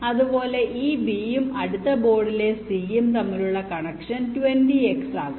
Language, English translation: Malayalam, similarly, a connection between this b here and c on the next board, it can be twenty x